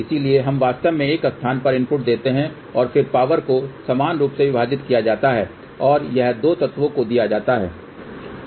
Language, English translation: Hindi, So, what will you do so we actually gave input at one place and then the power is divided equally and that is given to the 2 element